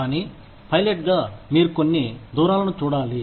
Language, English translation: Telugu, But, as a pilot, you are required to see, certain distances